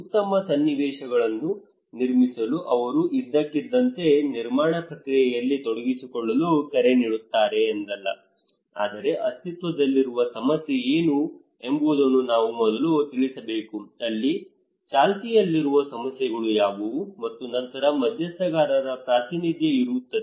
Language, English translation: Kannada, It is not that they will suddenly call for involving in construction process in a build back better situations, but we should first let know that what is the existing problem what are the concerns there what are the prevailing issues there okay and then representation of the stakeholders